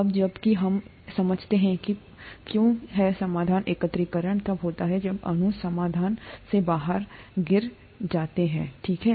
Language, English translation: Hindi, Now that, now that we understand why something is in solution, aggregation happens when molecules fall out of solution, okay